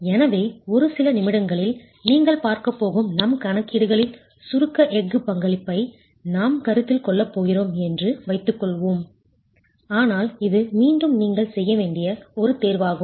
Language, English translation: Tamil, So assume that we are actually going to be considering the contribution of the compression steel in our calculations that you are going to see in a few minutes, but this is again a choice that you need to make